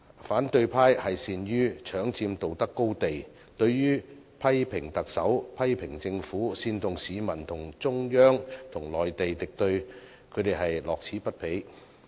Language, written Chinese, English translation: Cantonese, 反對派善於搶佔道德高地，對於批評特首，批評政府，煽動市民與中央與內地敵對，他們都樂此不疲。, Good at taking the moral high ground the opposition camp is never tired of criticizing the Chief Executive and the Government and fanning peoples hostility to the Central Authorities and the Mainland